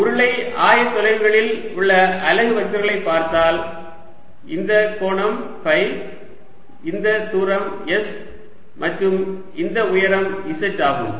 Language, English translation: Tamil, if i look at the unit vectors in cylindrical coordinates, this angle is phi, this distance is s and this height is z